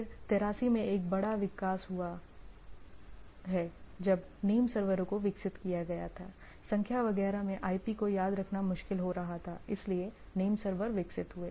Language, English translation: Hindi, Then there is a major development in 83 when name servers are developed like it is it was becoming difficult to remember the IP in numbers and etcetera, so name servers developed